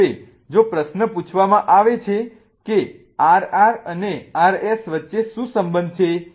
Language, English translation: Gujarati, But now if the question is asked what is the relationship between RR and R S